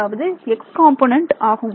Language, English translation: Tamil, So, that will give me the x part